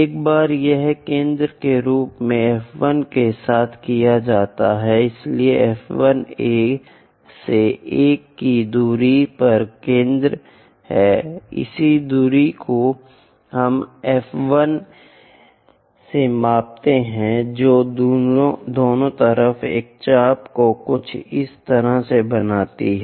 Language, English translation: Hindi, Once it is done with F 1 as centre; so, F 1 is centre the distance from A to 1, this distance let us measure it with that distance from F 1 make an arc something like that on both the sides